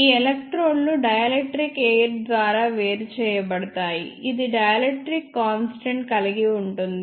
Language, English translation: Telugu, These electrodes are separated by a dielectric air which has dielectric constant one